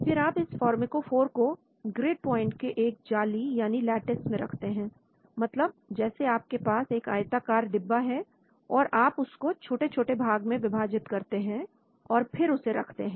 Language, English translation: Hindi, Then, you place the pharmacophore into a lattice of grip points so we may have a rectangular box and if you divide it into lots of grids so you place it